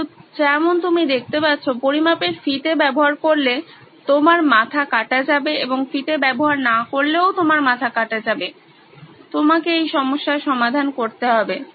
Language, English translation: Bengali, But as you can see, use the measuring tape off goes your head and you don’t use measuring tape off goes your head, you have to solve this scenario